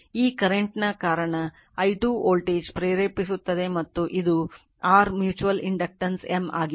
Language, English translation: Kannada, Because of this current i 2 a voltage will induce and this is your your mutual inductance was M